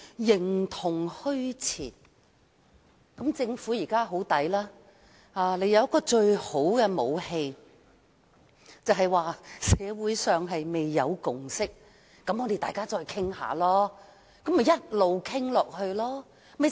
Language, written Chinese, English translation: Cantonese, 政府現在佔盡便宜，因為當局擁有最好的武器，便是社會上未有共識，大家要再討論一下。, The Government is now taking full advantage of this situation because the authorities are armed with the best weapon that is the lack of a consensus in society which entails the need for further discussion